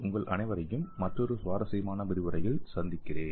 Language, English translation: Tamil, I will see you all in another interesting lecture